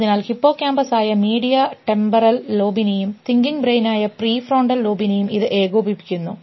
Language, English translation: Malayalam, So, may coordinate medial temporal lobe which is hippocampus and the prefrontal lobe which is the thinking brain